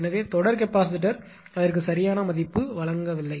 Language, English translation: Tamil, So, series capacitor it has no value right